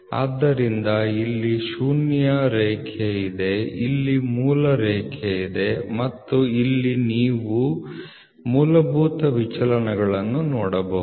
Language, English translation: Kannada, So, here is the zero line so it is basic line zero line and here you can see the fundamental deviations